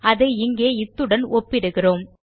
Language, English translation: Tamil, Okay so weve compared this here to this here